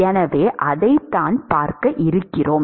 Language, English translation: Tamil, So, that is what we are going to see